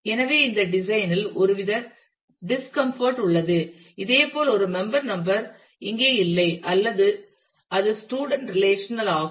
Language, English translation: Tamil, So, there is some kind of discomfort at this design similarly a member number is not here it is the student relation